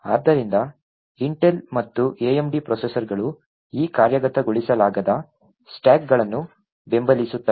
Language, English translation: Kannada, So, both Intel and AMD processors support these non executable stacks